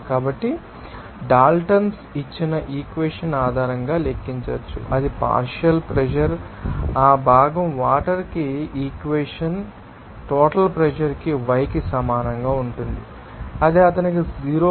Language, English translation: Telugu, So, that can be calculated based on that equation given by Daltons that is partial pressure will be equal to y for that component water into total pressure that will be equal to what that it will be simply that he had a 0